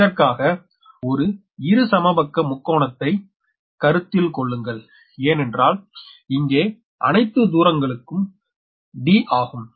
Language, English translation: Tamil, this is actually equilateral triangle because d, d, d, all distance same